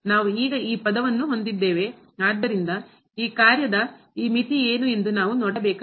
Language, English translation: Kannada, We have this term now so we have to see what is this limit here of this function